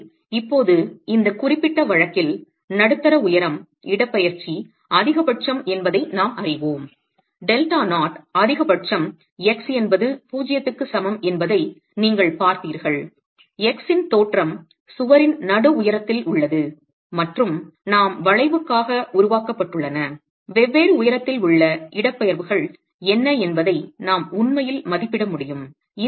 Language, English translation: Tamil, So now in this particular case we know that the mid height displacement is maximum, delta not, maximum is at an x is equal to 0 you saw that the that the origin is at the mid height of the wall and with the expression that we have developed for the curvature we can actually estimate what the displacements are at different height the boundary conditions in this case if you were to have the curvature for all heights defined, the slope of the displacement would be 0 at x is equal to 0 at the mid height